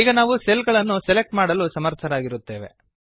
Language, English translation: Kannada, We are able to select the cells again